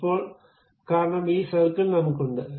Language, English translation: Malayalam, Now, because this circle I have it